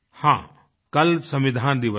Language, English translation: Hindi, Yes, tomorrow is the Constitution Day